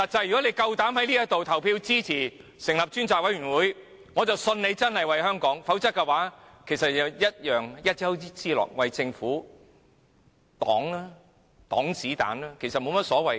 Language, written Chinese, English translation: Cantonese, 如果他們膽敢在此投票支持成立專責委責會，我便相信他們真的是為香港，否則同樣是一丘之貉，只是為政府擋子彈。, If they dare to vote in favour of the appointment of a select committee I will believe they really care about Hong Kong otherwise they are just two of a kind shielding the Government from bullets